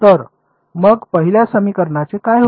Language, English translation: Marathi, So, what happens to the first equation